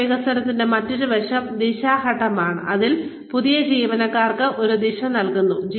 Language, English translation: Malayalam, The other aspect of career development is, the direction phase, in which, a direction is given, to the new employees